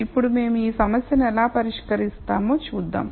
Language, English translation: Telugu, Now, let us see how we solve this problem